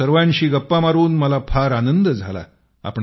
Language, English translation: Marathi, But I felt very nice talking to all of you